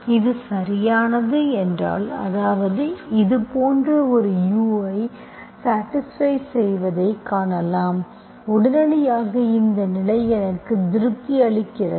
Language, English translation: Tamil, If suppose this is exact, suppose, that means I can find such a u satisfying this, immediately I have this condition is satisfied